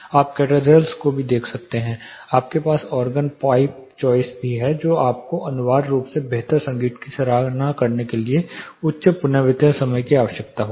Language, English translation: Hindi, You also see in cathedrals you also have organ pipes choirs performed you will essentially need a high reverberation time to appreciate the music better